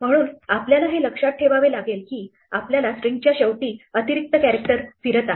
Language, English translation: Marathi, So, you have to remember that you have the extra character floating around at the end of your string